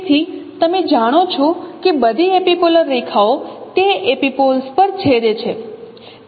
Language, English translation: Gujarati, So you know that epipolar lines, all epipolar lines they intersect at epipoles